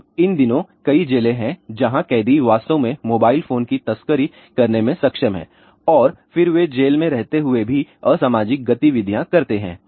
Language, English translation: Hindi, Now, these days ah there are several jails where prisoners are actually able to smuggle in the mobile phones and then they do anti social activities even though they are in the prison